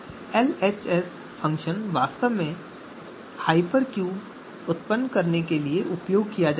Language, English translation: Hindi, So LHS function is actually to generate the hypercube there